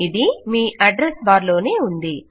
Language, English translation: Telugu, And,its just in your address bar